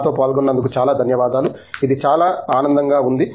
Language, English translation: Telugu, Thank you very much for joining us, it was a pleasure